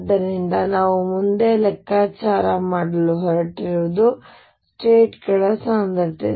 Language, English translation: Kannada, So, that is what we are going to calculate next, the density of states